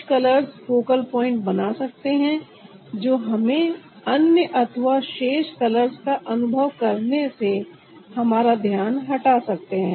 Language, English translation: Hindi, some colors may create a focal point which can divert us from the rest of the color feel